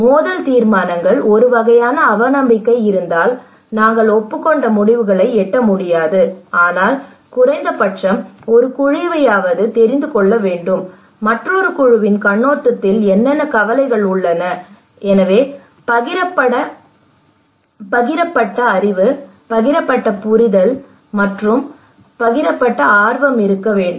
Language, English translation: Tamil, Conflict resolutions, as I said that if there is a kind of distrust may not be we always be able to reach to an agreed decisions but at least one group should know that what are the concerns what are the problems there from another perspective, from another groups perspective, so there is kind of shared knowledge, shared understanding, and shared interest that should be there